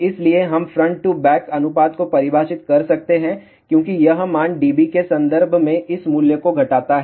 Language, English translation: Hindi, So, we can define front to back ratio as this value subtract this value in terms of dB